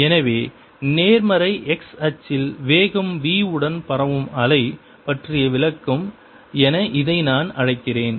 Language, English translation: Tamil, so this is i will call description of a wave propagating with speed v along the positive x axis